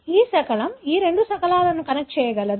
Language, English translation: Telugu, So, this fragment is able to connect these two fragments